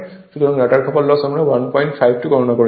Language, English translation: Bengali, So, rotor copper loss just we have calculated 1